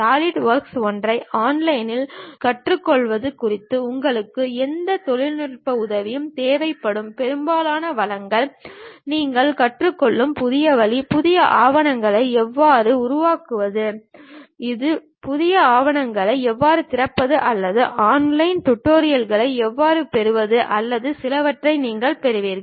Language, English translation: Tamil, And most of the resources you require any technical help regarding learning Solidworks one on online you will learn, other way you will have something like how to create a new document, how to open a new document or perhaps how to get online tutorials or perhaps some other subscription services you would like to have these kind of details we will get at this resources